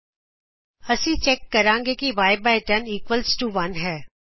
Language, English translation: Punjabi, Here we check that y/10 equals to 1